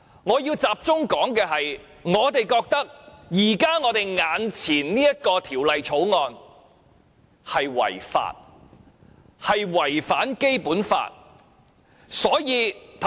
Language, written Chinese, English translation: Cantonese, 我要集中討論的是，眼前這項《條例草案》違法及違反《基本法》。, Instead I will focus on the fact that the present Bill is unlawful and is in contravention of the Basic Law